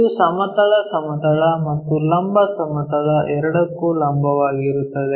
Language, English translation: Kannada, It is perpendicular to both horizontal plane and vertical plane